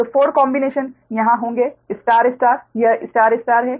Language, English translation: Hindi, so four combinations will be there star star